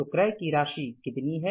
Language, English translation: Hindi, So how much is the amount of purchases